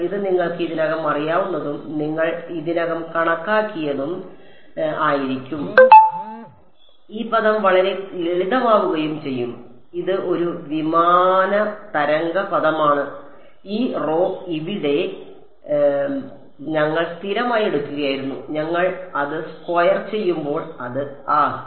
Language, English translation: Malayalam, It will just be this chi r and phi r which you have calculated already which you know already and this g term becomes very simple it is just a plane wave term and this rho over here we were taking into be constant and when we square it ah